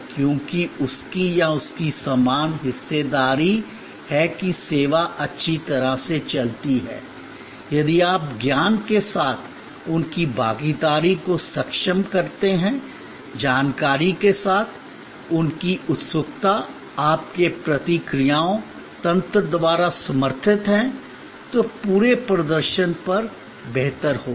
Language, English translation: Hindi, Because, he or she also has equal stake that the service goes well, if you enable their participation with knowledge, with information, their eagerness is supported by your response mechanism, then on the whole performance will be better